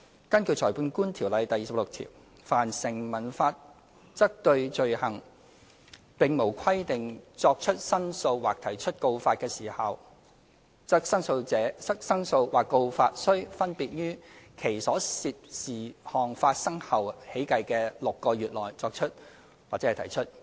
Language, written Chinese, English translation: Cantonese, 根據《裁判官條例》第26條，"凡成文法則對罪行......並無規定作出申訴或提出告發的時效，則申訴或告發須分別於其所涉事項發生後起計的6個月內作出或提出。, According to section 26 of the Magistrates Ordinance in any case of an offence where no time is limited by any enactment for making any complaint or laying any information in respect of such offence such complaint shall be made or such information laid within six months from the time when matter of such complaint or information respectively arose